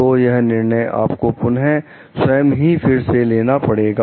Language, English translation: Hindi, So, this is again a decision that you need to take about yourself